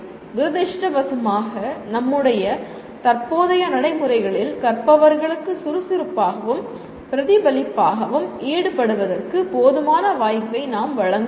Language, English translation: Tamil, Unfortunately in our current practices we do not give adequate opportunity for learners to engage actively and reflectively